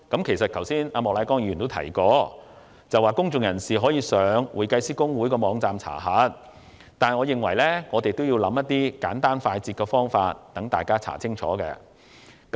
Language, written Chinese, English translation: Cantonese, 其實，莫乃光議員剛才也提及，公眾人士可以上公會網站查核，但我認為，應為市民提供更簡單快捷的方法。, In fact Mr Charles Peter MOK mentioned earlier that the public could make enquiries through the website of HKICPA . However I think simpler and quicker ways of identification should be provided to the public